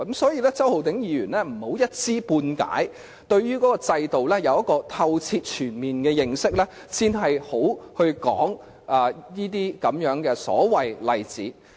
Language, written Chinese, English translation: Cantonese, 所以，周浩鼎議員不要一知半解，他應該先對這制度有透徹全面的認識，然後才提出這些所謂的例子。, So Mr Holden CHOW should not make comments based on his half - baked knowledge . He should first obtain a full thorough understanding of this system before citing those so - called examples